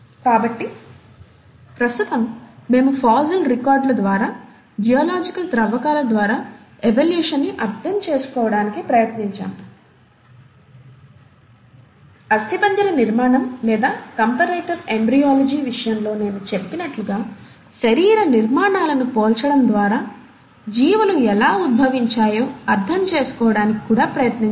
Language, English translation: Telugu, So in present day, we tried to understand evolution through fossil records, through geological excavations; we also tried to understand how the organisms would have evolved by comparing the anatomical structures, as I mentioned, in case of skeletal formation or comparative embryology